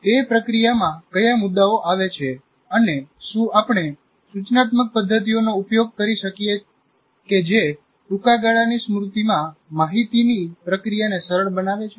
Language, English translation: Gujarati, In that processing, what are the issues that come and whether we can use instructional methods that facilitate the what we call processing the information in the short term memory